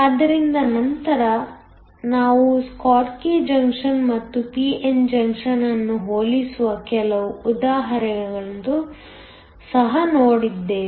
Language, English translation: Kannada, So, later we will also look at some examples where we will compare a schottky junction and a p n junction